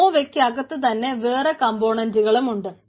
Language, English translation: Malayalam, there are other ah other components within the nova